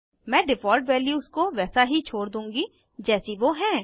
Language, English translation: Hindi, I will leave the default values as they are